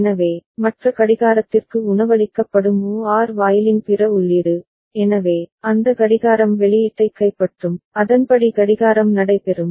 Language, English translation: Tamil, So, then other input of the OR gate to which the other clock is being fed, so, that clock will take over the output and accordingly the clocking will take place